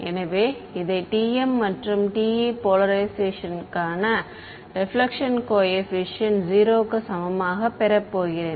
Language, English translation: Tamil, So, I am going to get this equal to 0 the reflection coefficient for TM and TE polarization